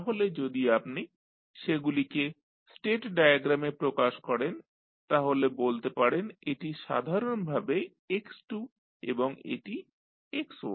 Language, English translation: Bengali, So, if you represent them in the state diagram you will say that this is basically x2, this is x1